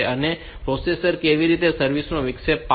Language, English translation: Gujarati, Now how the processor will service interrupts